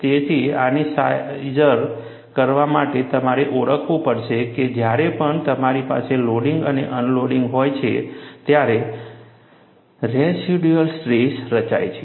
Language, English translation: Gujarati, So, in order to appreciate this, you will have to recognize, whenever you have a loading and unloading, residual stresses get formed